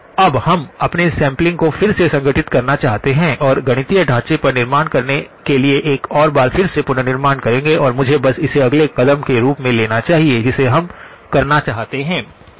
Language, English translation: Hindi, Now, we would like to sort of revisit our sampling and reconstruction one more time again to build on the mathematical framework and let me just take that as the next step that we would like to do okay